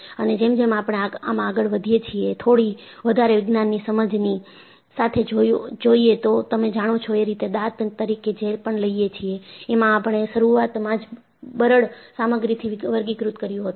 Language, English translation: Gujarati, And, as we go by, with understanding of little more Science, you know, whatever you come across as truth, we classified initially as brittle material